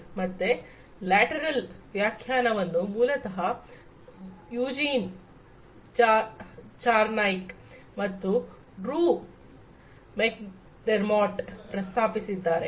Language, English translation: Kannada, So, the lateral definition is basically proposed by Eugene Charniak and Drew McDermott